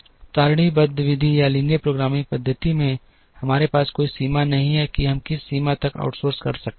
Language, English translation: Hindi, In the tabular method or the linear programming method, we did not have any limit on the extent to which we can outsource